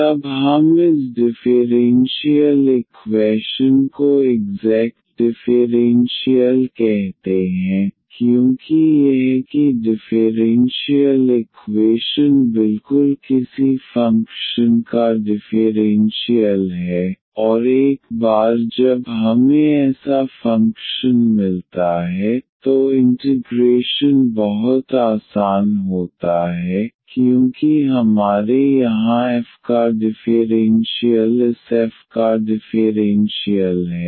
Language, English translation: Hindi, Then we call this differential equation as the exact differential, because this that the differential equation is exactly the differential of some function, and once we find such a function the integration is very easy because we have differential of f here the differential of this f is equal to 0 and then the solution will be this the f is equal to constant